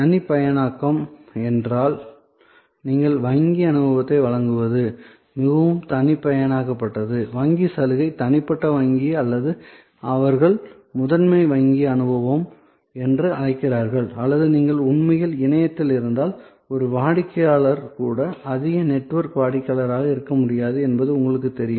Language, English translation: Tamil, Customization that means, you know you give the banking experience which is very personalized, privilege banking personal banking or what they call premier banking experience or if you are actually on the web then even a customer who is may not be a high network customer